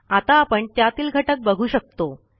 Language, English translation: Marathi, Now you can see its contents